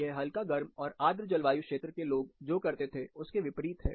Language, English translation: Hindi, Contrary to what people used to do in warm and humid regions